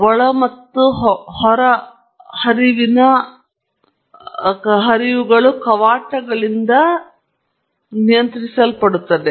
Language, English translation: Kannada, Both the in and outlet flows are regulated by valves